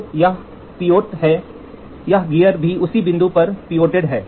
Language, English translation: Hindi, So, this is pivoted this, this gear is also pivoted on the same point